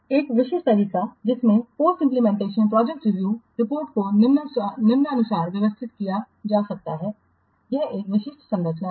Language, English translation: Hindi, A typical way in which the post implementation project review report can be organized as follows